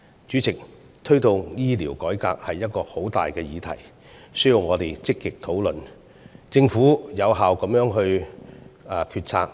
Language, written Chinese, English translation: Cantonese, 主席，推動醫療改革是一個很大的議題，需要我們積極討論，以及政府作出有效的決策。, President promoting healthcare reform is a big issue that requires our active discussion and effective policies made by the Government